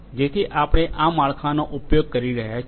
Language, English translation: Gujarati, So, we are using this framework